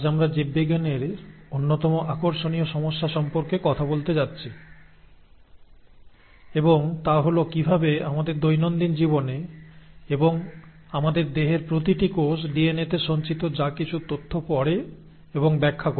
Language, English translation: Bengali, Today we are going to talk about one of the most interesting problems in biology and that is, how is it that in our day to day lives and in each and every cell of our body whatever information that is stored in the DNA is read and interpreted